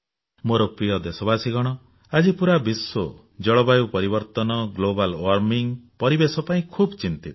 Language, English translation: Odia, My dear countrymen, today, the whole world is concerned deeply about climate change, global warming and the environment